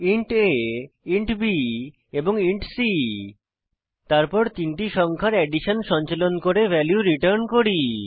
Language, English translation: Bengali, Int a, int b and int c Then we perform addition of three numbers